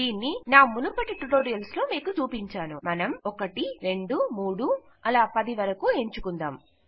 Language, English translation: Telugu, We now have to create these Ive shown you this in my earlier tutorials and well have the numbers 1 2 3 4 5 6 7 8 9 and 10 Ok